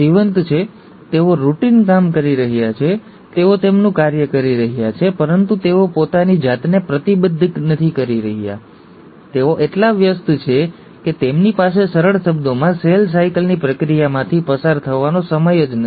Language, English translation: Gujarati, They are doing the routine job, they are doing their function, but, they are not committing themselves, they are just so busy that they just don’t have time to undergo the process of cell cycle in simple terms